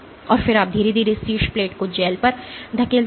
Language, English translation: Hindi, And then you slowly push the top plate on to the gel